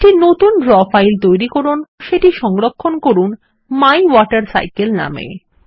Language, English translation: Bengali, Create a new draw file and save it as MyWaterCycle